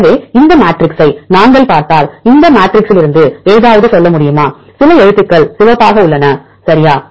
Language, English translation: Tamil, So, if we see this matrix can you tell something from this matrix, there are some letters are red right